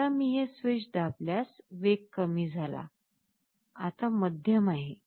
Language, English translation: Marathi, If I press this switch once the speed has decreased, now it is medium